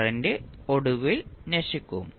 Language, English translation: Malayalam, The current will eventually die out